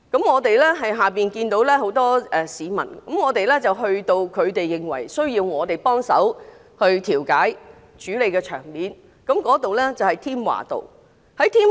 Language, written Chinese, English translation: Cantonese, 我們看到有很多市民，我們去到他們認為需要我們幫手調解處理的地方，在添華道。, We saw many people outside and we went to Tim Wa Avenue the place where some clashes broke out and mediation was needed